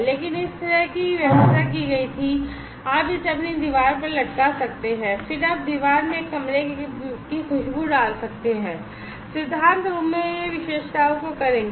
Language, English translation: Hindi, But this kind of arrangement was made, and you can hang it on your wall, and then you put a room fragrance in the wall and in principle it will do the characteristics